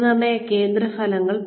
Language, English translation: Malayalam, Assessment center results